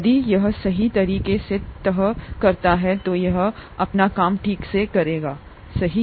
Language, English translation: Hindi, If it folds correctly, then it will do its job properly, right